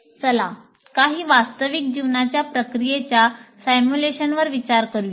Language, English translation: Marathi, Now, let us go to simulation of some some real life processes